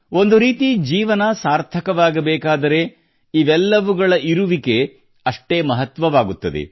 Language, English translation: Kannada, In a way if life has to be meaningful, all these too are as necessary…